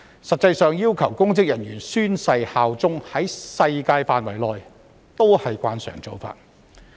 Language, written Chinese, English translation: Cantonese, 實際上，要求公職人員宣誓效忠，在世界上是慣常做法。, In fact it is a common practice around the world to require public officers to swear allegiance